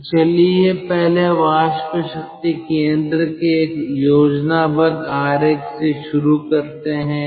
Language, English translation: Hindi, so let us first start with a schematic diagram of the steam power plant